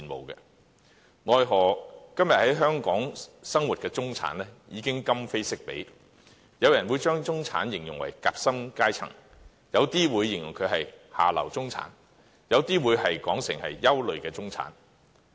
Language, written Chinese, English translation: Cantonese, 奈何今天在香港生活的中產已今非昔比，有人會把他們形容為夾心階層，有人則形容為"下流中產"，甚至是"憂慮中產"。, The housing problem in Hong Kong is acute and complicated it affects not only the middle class but also people from the other spectra . Housing in Hong Kong sees persistent imbalance in supply and demand where the internal demand is strong